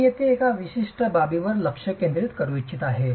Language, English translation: Marathi, I would like to focus on a particular aspect here